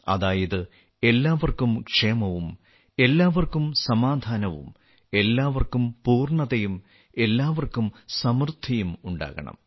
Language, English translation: Malayalam, That is, there should be welfare of all, peace to all, fulfillment to all and well being for all